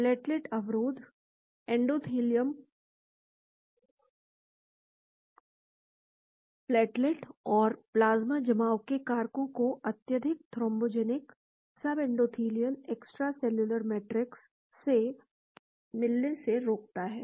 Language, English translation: Hindi, Platelet inhibition; endothelium prevents platelet and plasma coagulation factors from meeting the highly thrombogenic subendothelial extracellular matrix